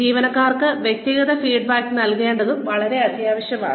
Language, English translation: Malayalam, It is very very essential to give individual feedback to the employees